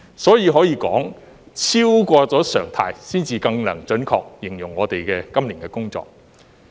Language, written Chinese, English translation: Cantonese, 所以，可以說超過常態，才能更準確形容我們今年的工作。, So it would be more accurate to say that we have done better than our normal days over the past year